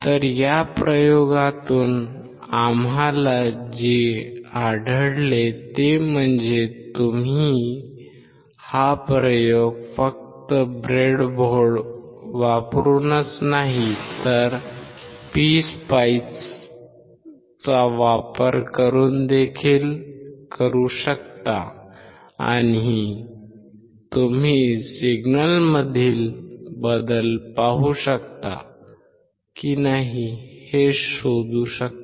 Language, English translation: Marathi, So, what we find from this experiment is that you can perform the experiment not only using the breadboard, but also by using PSpice and you can find out whether you can see the change in signals or not